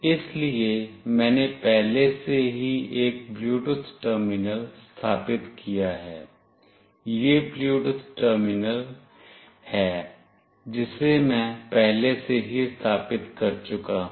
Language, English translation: Hindi, So, I have already installed a Bluetooth terminal, this is the Bluetooth terminal that I have already installed